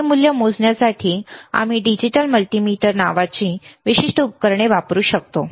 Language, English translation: Marathi, To measure this value, we can use this particular equipment called a digital multimeter